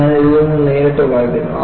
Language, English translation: Malayalam, I would just read from that